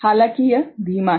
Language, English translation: Hindi, However, it is slower